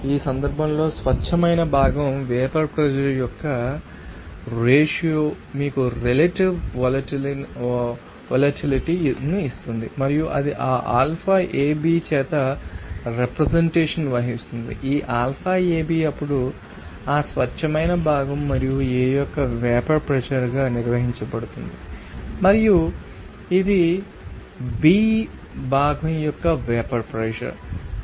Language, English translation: Telugu, And in this case ratio of pure component vapor pressure will give you that you know that relative volatility and it will be represented by that alpha AB, this alpha AB then will be defined as that what is that this is your what is that vapor pressure of that pure component and A and this is a vapor pressure of component B